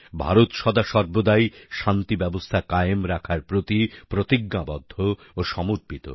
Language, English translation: Bengali, India has always been resolutely committed to peace